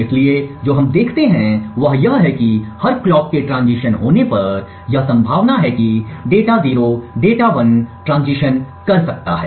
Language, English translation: Hindi, So, what we see is that every tie the clock transitions, it is likely that the data 0 and data 1 may transition